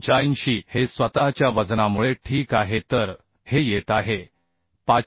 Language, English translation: Marathi, 85 is due to self weight okay so this is coming 527